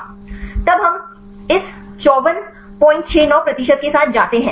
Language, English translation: Hindi, Then we go with this 54